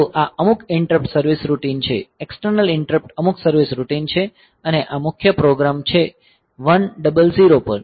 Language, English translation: Gujarati, So, this is some interrupt service routine the external interrupt some service routine and this is the main program is at 100